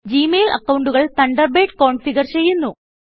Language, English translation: Malayalam, Gmail accounts are automatically configured by Thunderbird